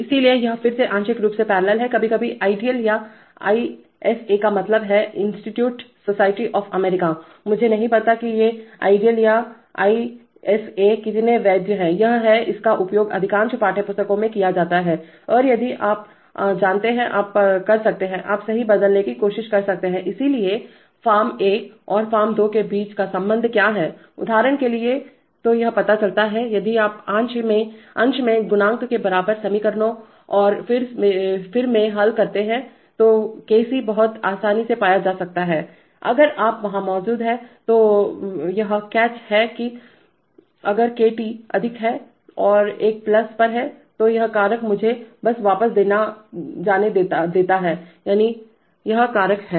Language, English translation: Hindi, So it is again partially parallel, sometimes ideal or ISA means instrument society of America, I do not know whether how far these ideal or ISA are so valid, it is, it is used in most of the textbooks and if you, now you know, you could, you could, you could try to convert right, so what is the relationship between form one and form two for example, so it turns out, if you solve by equating coefficients of s in the numerator and in the denominator then you would find very easily that Kc’, if you that is there is a catch, that catch is that if Kt is high, that is at one plus, that is this factor let me just go back that is, this factor